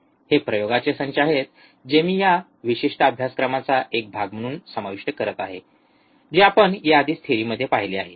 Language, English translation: Marathi, These are the set of experiments that I am covering as a part of this particular course which we have already seen in theory part